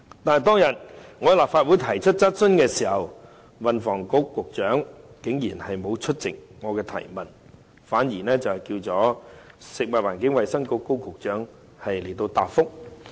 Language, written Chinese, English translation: Cantonese, 可是，當天我在立法會提出質詢的時候，運輸及房屋局局長竟然沒有出席回答我的質詢，反而由食物及衞生局的高局長作出答覆。, However on that day when I asked a question in the Legislative Council the Secretary for Transport and Housing did not attend the meeting to reply to my question . Rather it was the Secretary for Food and Health Dr KO who gave a reply